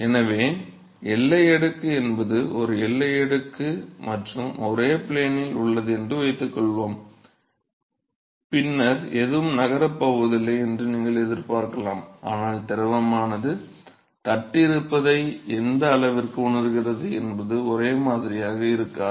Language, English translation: Tamil, So, is the boundary layer, supposing is a boundary layer and also to be a single plane, then you would expect that nothing is going to move, but the extent to which the fluid is feeling the presence of the plate is not the same at every location along the plate